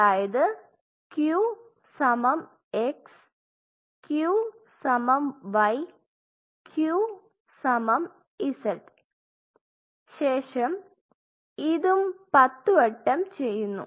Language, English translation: Malayalam, You put the Q plus say x, Q plus y, Q plus z again all the applications are 10